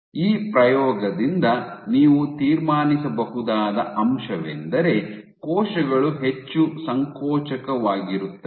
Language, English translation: Kannada, So, what you can conclude from this experiment is cells are more contractile